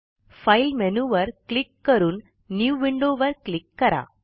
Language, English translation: Marathi, Lets click on the File menu and click on New Window